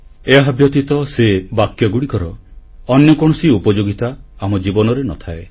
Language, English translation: Odia, Beyond that, these sentences serve no purpose in our lives